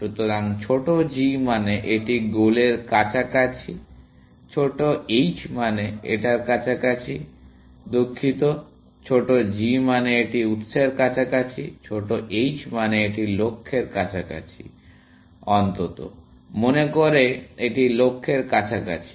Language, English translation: Bengali, So, low g means, it is close to the goal; low h means, it is close to the; sorry, low g means it is close to the source; low h means, it is close to the, at least, thinks it is close to the goal